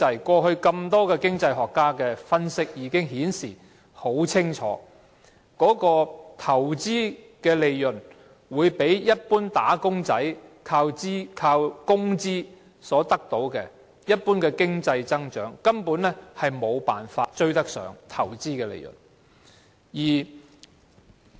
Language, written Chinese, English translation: Cantonese, 過去很多經濟學家的分析清楚顯示，投資利潤會比一般"打工仔"靠工資所得的多，一般經濟增長根本沒法追上投資利潤。, The analysis made by many economists in the past clearly showed that investment profits would exceed the wages of ordinary wage earners and the general economic growth simply could not catch up with the growth in investment profits